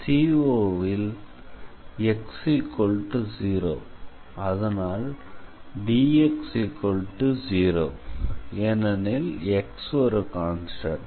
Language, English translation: Tamil, Now on AB our x is a and therefore, dx is 0 because x is constant